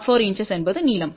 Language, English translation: Tamil, 04 inches is the length